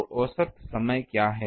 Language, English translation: Hindi, So, what is the time average